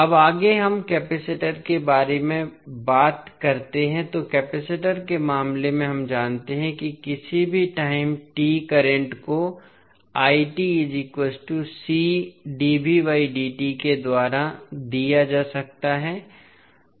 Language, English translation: Hindi, Now, next let us talk about the capacitor so, in case of capacitor we know current at any time t can be given by c dv by dt